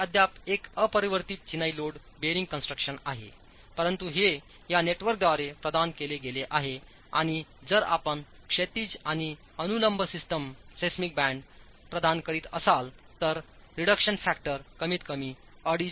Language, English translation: Marathi, It's still an unreinforced masonry load bearing construction, provided with this sort of a network and if you were to provide horizontal and vertical seismic bands the reduction factor goes up as high as 2